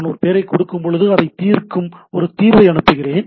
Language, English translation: Tamil, That when I give a name I send a resolver that you resolve it